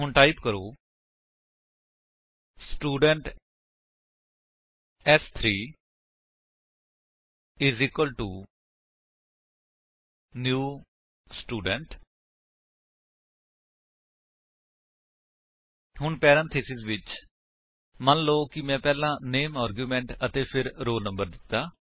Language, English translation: Punjabi, So, type: Student s3= new Student() Now within parentheses, suppose I gave the name argument first and then the roll number